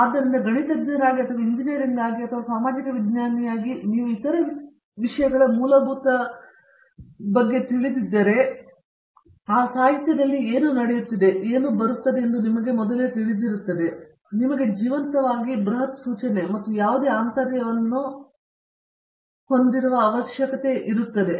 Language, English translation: Kannada, So, as a mathematician or as an engineer and as a social scientist if you are aware of the fundamentals of other things, you are aware of fundamental of whatÕs happening around and whatÕs coming up in literature, that keeps you alive and any intern it has huge implication we can we can discuss with at length at some other time